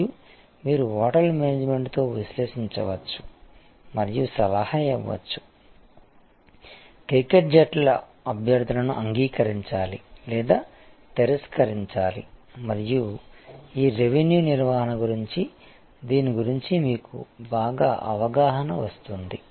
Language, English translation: Telugu, And you can, then analyze an advice the hotel management with the, should accept the cricket teams request should decline and that will give you much better understanding of what this revenue management this all about